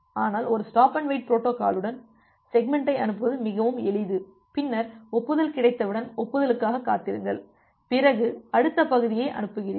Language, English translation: Tamil, But with a stop and wait protocol, the logic is pretty simple that you send segment and then wait for acknowledgement once you are getting acknowledgement, you send the next segment